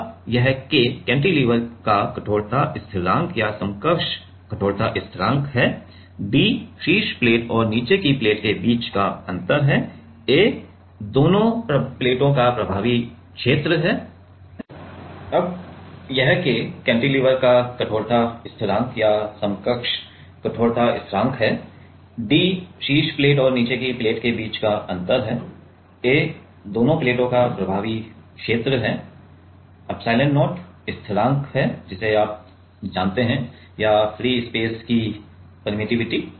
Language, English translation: Hindi, Now, this K is the stiffness constant of the or equivalence stiffness constant of the cantilever, d is the gap between the top plate and the bottom plate a is the effective area of the 2 plates and epsilon not is the directly constant you know or permittivity of free space